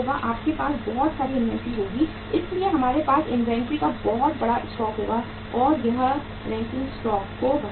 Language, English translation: Hindi, We will have plenty of inventory with us so we have the large stock of inventory and it will increase the carrying cost right